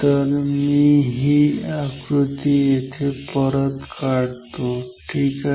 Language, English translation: Marathi, So, let me copy this diagram ok